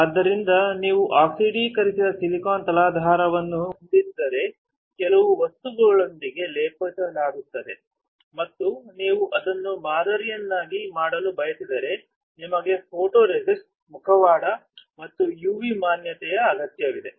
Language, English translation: Kannada, So, if you have oxidised silicon substrate coated with some material and if you want to pattern it you will need a photoresist, a mask, and a UV exposure